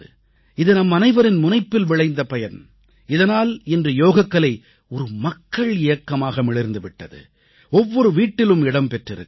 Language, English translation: Tamil, It is the result of our concerted efforts and commitment that Yoga has now become a mass movement and reached every house